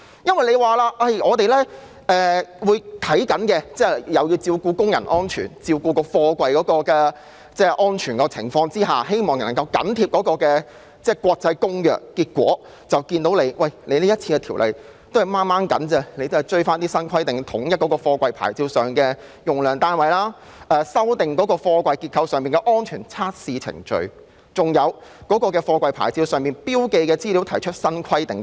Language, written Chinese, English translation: Cantonese, 政府表示會在密切關注工人及貨櫃安全的情況下緊貼《公約》的規定，但結果是，政府僅僅能追及新規定，例如統一貨櫃牌照上的用量單位、修訂貨櫃結構上的安全測試程序，以及對貨櫃牌照上標記的資料提出新規定等。, The Government indicated that it would closely follow the requirements of the Convention paying close attention to the safety of workers and containers . However it turns out that the Government can barely comply with the new requirements such as standardizing the units of measurement on the safety approval plates of containers amending the testing procedures on structural safety of containers as well as prescribing new requirements on information to be marked on the safety approval plates